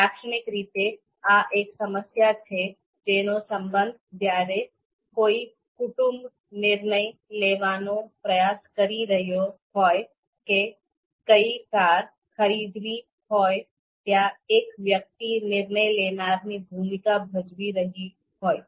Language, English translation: Gujarati, Typically, this is problem related to you know you know you know family where the family is trying to decide which car to pick and typically one person is playing the role of a decision maker